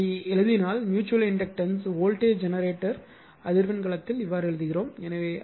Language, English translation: Tamil, So, that like your that it is same way you are putting that mutual inductance voltage generator in frequency domain we are writing it